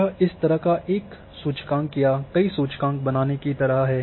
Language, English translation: Hindi, This is kind of creating a indexes or an index like this